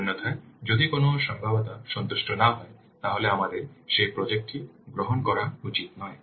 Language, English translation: Bengali, Otherwise, if any of the feasibility it is not satisfied, then we should not take up that project